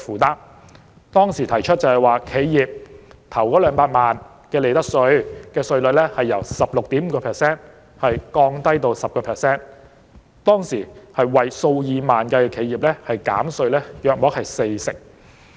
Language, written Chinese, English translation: Cantonese, 她當時建議將企業首200萬元利得稅稅率由 16.5% 降低至 10%， 當時有數以萬計的企業會獲減稅約四成。, At that time she proposed to lower the profits tax rate for the first 2 million reported profits from the existing 16.5 % to 10 %